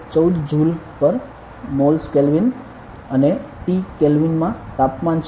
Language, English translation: Gujarati, 314 Joule per mole Kelvin and T is the temperature in Kelvin